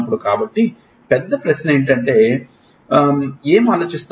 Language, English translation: Telugu, So, the big question comes what is thought